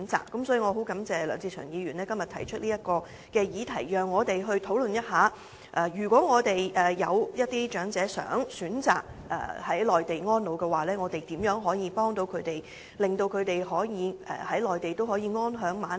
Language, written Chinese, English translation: Cantonese, 因此，我十分感謝梁志祥議員今天提出這項議案，讓我們討論一下，如有長者想選擇在內地安老，我們可如何協助他們，以令他們可以在內地安享晚年。, Hence I am really grateful towards Mr LEUNG Che - cheung for moving the motion today so that we can discuss what we can do to help those elderly people who wish to spend their twilight years on the Mainland